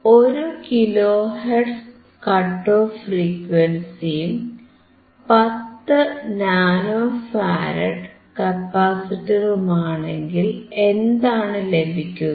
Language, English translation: Malayalam, With a cut off frequency given as 1 kilohertz and a capacitor of 10 nano farad what you will get